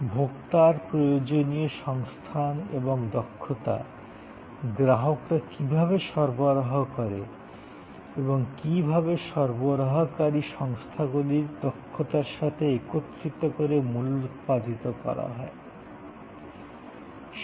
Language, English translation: Bengali, The consumer need the resources and competencies the consumer brings and how that can be combined with the providers resources competencies to produce value